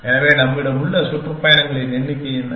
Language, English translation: Tamil, So, what is the number of tours that we have